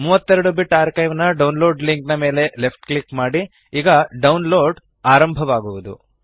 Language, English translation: Kannada, Left click on the download link for the 32 Bit archive and download starts